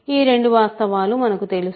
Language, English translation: Telugu, So, we know both of these facts